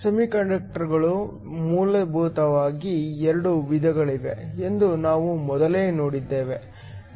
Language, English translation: Kannada, We have seen earlier that semiconductors are essentially 2 types